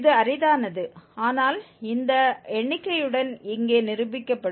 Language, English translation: Tamil, This is rare but it can happen which is demonstrated here with this figure